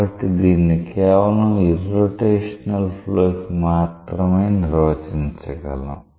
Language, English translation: Telugu, So, this is defined only for irrotational flow